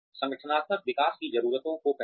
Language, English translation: Hindi, Identify organizational development needs